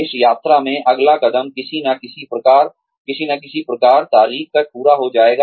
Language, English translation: Hindi, The next step, in this journey, will be completed by, so and so date